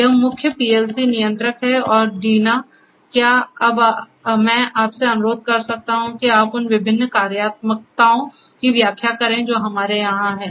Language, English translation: Hindi, This is the main PLC controller and Deena, can I now request you to explain the different other functionalities that we have over here